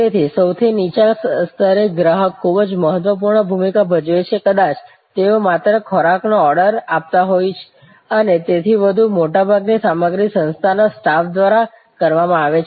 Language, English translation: Gujarati, So, at the lowest level the customer has very in significant role, may be they just ordering the food and so on, most of the stuff are done by the staff of the organization